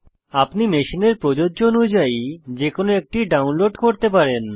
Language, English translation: Bengali, You can download any one depending on which is applicable to your machine